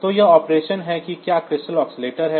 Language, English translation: Hindi, So, this crystal oscillator is there